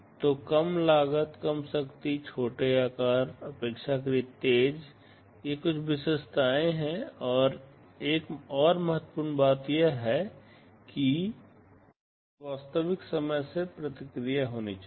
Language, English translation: Hindi, So, low cost, low power, small size, relatively fast these are some of the characteristics, and another important thing is that it should have real time response